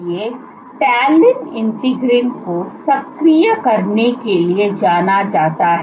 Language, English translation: Hindi, So, Talin is known to activate integrins